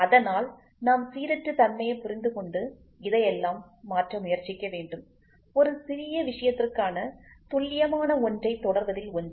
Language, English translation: Tamil, So, we are supposed to understand the randomness and try to convert all this; the accurate one into precision for a smaller thing